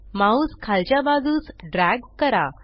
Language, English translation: Marathi, Drag your mouse downwards